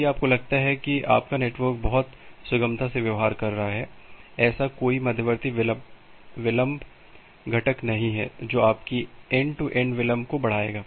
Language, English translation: Hindi, If you just think about your network is behaving very smoothly, there is no such intermediate delay components which will increase your delay, end to end delay